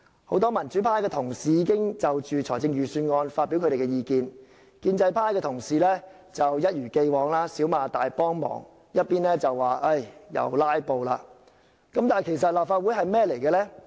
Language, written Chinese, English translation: Cantonese, 很多民主派同事已經就預算案發表意見，建制派同事則一如既往，一邊對政府"少罵大幫忙"，一邊說我們又"拉布"，但其實立法會的角色是甚麼？, Many pro - democracy Members have already expressed their views on the Budget . Pro - establishment Members as always do great favours for the Government by just making a few criticisms on the one hand and blame us for filibustering on the other . But what roles does the Legislative Council actually play?